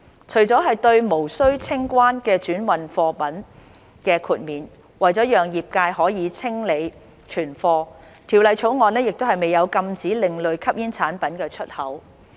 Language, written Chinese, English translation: Cantonese, 除了對無須清關的轉運貨品的豁免，為了讓業界可清理存貨，《條例草案》亦未有禁止另類吸煙產品的出口。, In addition to the exemption for transhipment goods that require no customs clearance the Bill does not prohibit the export of ASPs to allow the industry to clear its stock